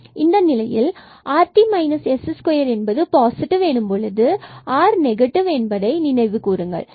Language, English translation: Tamil, And if at a point if we have again this rt minus s square positive and r is positive, then this is a point of minimum